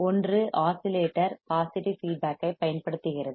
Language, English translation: Tamil, One is that the oscillator uses positive feedback